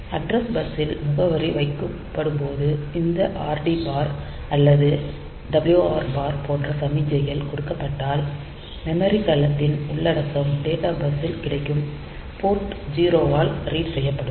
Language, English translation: Tamil, So, whenever the address is put on to the address bus and this signals read bar or write bar is given the content of the memory cell will be available on the data bus to be read by Port 0